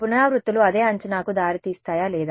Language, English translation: Telugu, Will the iterations lead to the same guess or not